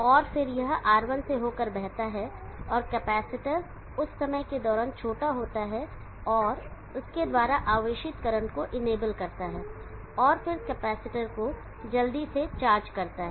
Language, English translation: Hindi, And then it flows through R1 and capacitor is a short during at time enables such current of flow through it and then quickly charges of the capacitor